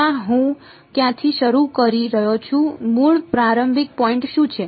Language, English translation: Gujarati, No where am I starting from what is the original starting point